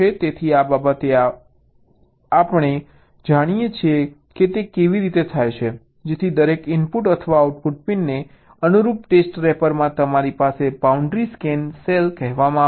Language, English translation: Gujarati, so this as we show how it is done, so that in the test rapper, corresponding to every input or output pin, you have something called a boundary scan cell